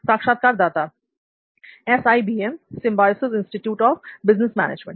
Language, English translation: Hindi, SIBM, Symbiosis Institute of Business Management